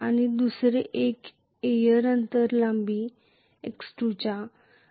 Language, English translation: Marathi, And the other one at air gap length of x2